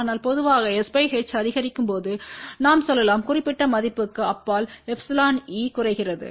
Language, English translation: Tamil, But in general we can say as s by h increases beyond say 10 value epsilon e decreases